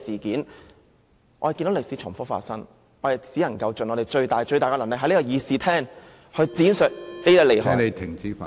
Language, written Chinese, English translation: Cantonese, 看着歷史重複發生，我們只能盡最大努力，於議事廳內闡述當中利害......, When history repeats itself we can only make an all - out effort to explain the pros and cons in the Chamber